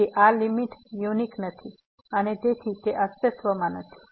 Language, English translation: Gujarati, So, this limit is not unique and hence it does not exist